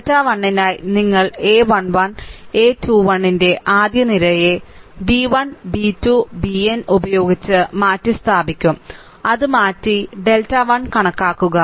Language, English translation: Malayalam, Just for delta 1 you will replace the first column of this ah of a 1 1, a 2 1 up to the place by b 1, b 2, b n, just replace it and calculate delta 1